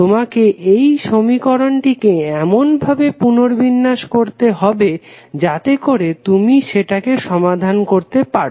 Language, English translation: Bengali, So, if you rearrange this equation you will simply get this equation